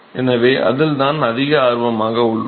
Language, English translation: Tamil, So, that is what we are interested in